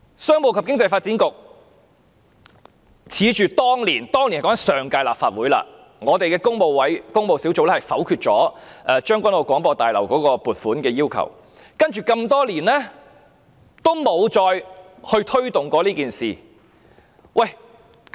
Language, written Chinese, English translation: Cantonese, 商務及經濟發展局恃着當年——當年是指上屆立法會——工務小組委員會否決了將軍澳廣播大樓的撥款建議，接下來多年也沒再推動這事。, The Commerce and Economic Development Bureau counting on the negation of the provision application for the construction of the Broadcasting House in Tseung Kwan O by the Public Works Subcommittee back then that is the Legislative Council of the previous term has done nothing to promote this project in the next couple of years